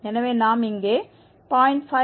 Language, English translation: Tamil, So, we will get 0